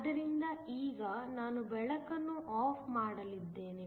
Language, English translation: Kannada, So, now I am going to turn off the light